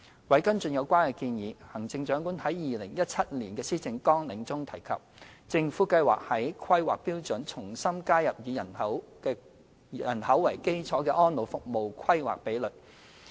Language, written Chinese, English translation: Cantonese, 為跟進有關建議，《行政長官2017年施政綱領》中提及，政府計劃在《規劃標準》重新加入以人口為基礎的安老服務規劃比率。, To follow up on the recommendations concerned The Chief Executives 2017 Policy Agenda sets out that the Government plans to reinstate the population - based planning ratios for elderly services in HKPSG